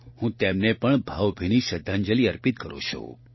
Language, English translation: Gujarati, I also pay my heartfelt tribute to her